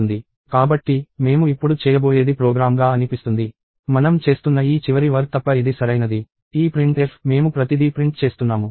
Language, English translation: Telugu, So, what I am going to do now is it seems to be a program, which is correct except for this last thing that we are doing; this printf – we are printing everything